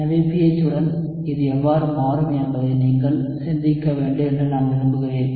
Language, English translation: Tamil, So I want you to think how it will change with the pH